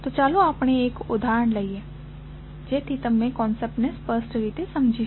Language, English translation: Gujarati, So, let us take an example so that you can understand the concept clearly